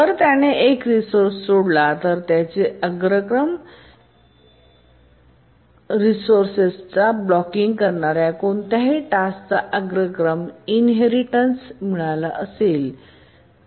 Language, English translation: Marathi, If it is released a resource, then any task that was blocking on that resource, it might have inherited the priority